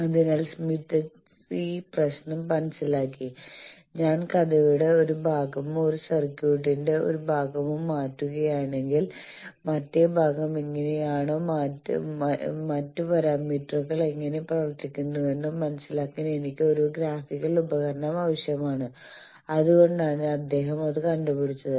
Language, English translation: Malayalam, So, smith he understood this problem that, if I am changing one part of the story or one part of a circuit how the other part is or other parameters are behaving I need to have a graphical tool to do that and that is why he invented that